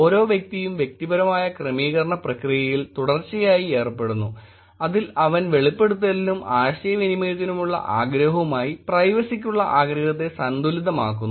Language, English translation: Malayalam, “Each individual is continually engaged in personal adjustment process in which he balances the desire for privacy with the desire for disclosure and communication